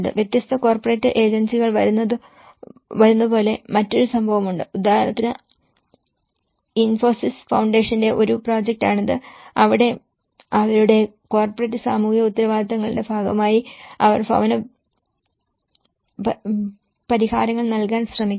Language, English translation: Malayalam, There is another case, like where different corporate agencies come like for example this was a project by Infosys Foundation where, as a part of their corporate social responsibilities, they try to come and deliver the housing solutions